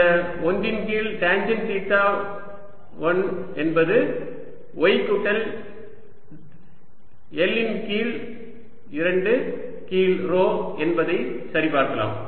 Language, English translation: Tamil, oh, sorry, we have tangent theta one is equal to y plus l by two over rho